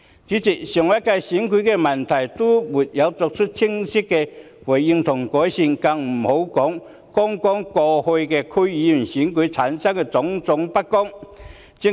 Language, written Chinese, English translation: Cantonese, 主席，上屆立法會選舉的問題尚且沒有得到清晰的回應和改善，剛過去區議會選舉出現的種種不公就更不用說。, President the problems arisen from the previous Legislative Council Election have yet to be accorded clear responses and improvement let alone all the instances of injustice witnessed in the District Council Election held recently